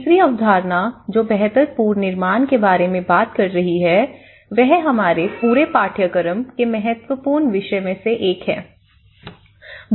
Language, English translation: Hindi, The third concept which is talking about the build back better, which is one of the important subject of our whole course